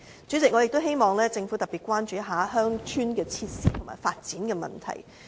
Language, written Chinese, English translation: Cantonese, 主席，我也希望政府特別關注鄉村設施和發展的問題。, President I also hope the Government can pay special attention to the issue concerning rural facilities and development